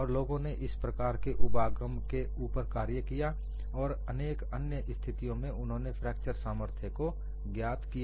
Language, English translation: Hindi, And people have worked on this kind of an approach and they have also found out the fracture strength for several other situations